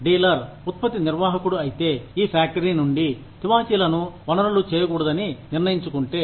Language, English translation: Telugu, If the dealer, if the product manager, decides not to source carpets, from this factory